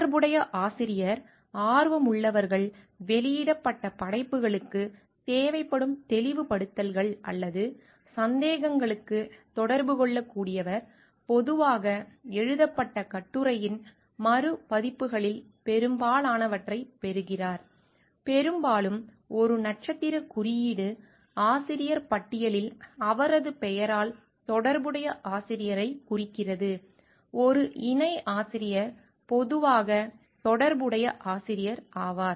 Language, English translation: Tamil, Corresponding author; is the one whom interested people can contact with the work published for any clarifications requiring or doubts, receives typically the most of the reprints of the authored article, often an asterisk indicates the corresponding author by his or her name in the author list, a coauthor is usually the corresponding author